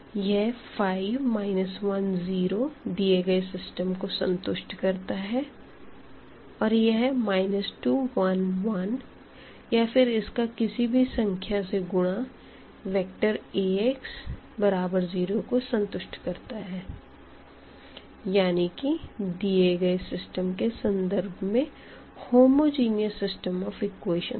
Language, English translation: Hindi, So, this 5, minus 1, 0 will satisfy our equations and this minus 2 1 1 or multiplied by any number this will satisfy Ax is equal to 0 that the so called the homogeneous system of equations, a corresponding to our given system